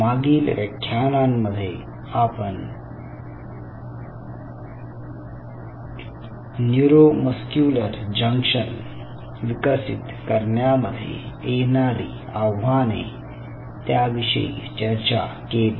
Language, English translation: Marathi, so in the last lecture i talked to you about the challenges of developing a neuromuscular junction